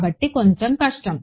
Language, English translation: Telugu, So, slightly harder